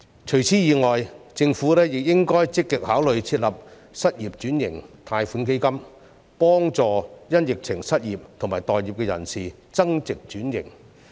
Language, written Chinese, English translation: Cantonese, 除此以外，政府亦應該積極考慮設立失業轉型貸款基金，協助因疫情而失業及待業的人增值轉型。, In addition the Government should proactively consider the establishment of a loan fund for occupation switching helping the unemployed and job seekers to upgrade themselves and switch occupations